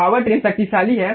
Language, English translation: Hindi, Power trim is really powerful